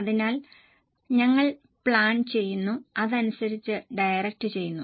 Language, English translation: Malayalam, So, we have done planning, we have done directing